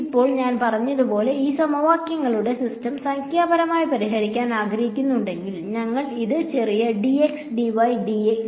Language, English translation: Malayalam, Now if I want to solve the system of this system of equations numerically as I said, we must do this chopping up into small dx dy dz dt